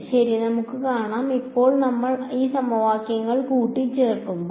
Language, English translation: Malayalam, We will see alright; So now, when we combine these equation